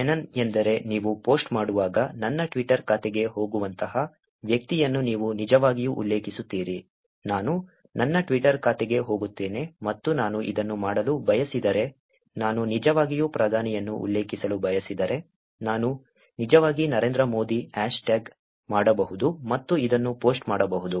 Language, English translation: Kannada, Mention is a when you do a post you actually mention a person like going to my, let me go to my Twitter account and this is if I want to do if I want to actually mention the Prime Minister I can actually hashtag narendramodi and do a post